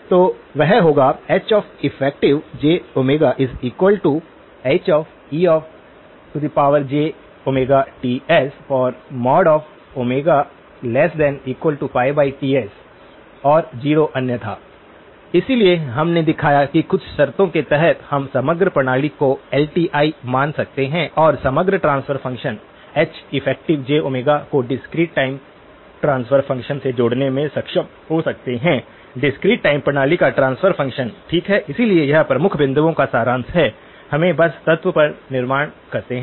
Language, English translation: Hindi, So that would be equal to H e of j omega Ts mod Omega less than pi over Ts equal to 0 otherwise, so we showed that under certain conditions, we can treat the overall system as LTI and also be able to link the overall transfer function, the H effective j omega to the discrete time transfer function; transfer function of the discrete time system okay, so this is a summary of the key points, let us just build on the element